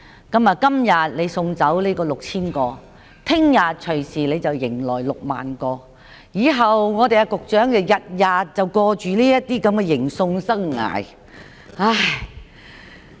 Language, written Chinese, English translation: Cantonese, 今天你送走6000名聲請者，明天隨時又迎來60000名，以後局長每天也過着這種迎送生涯。, If you send 6 000 claimants back today you may find yourself receiving 60 000 of them tomorrow and in the future the Secretary will lead a life of seeing people off and taking people in every day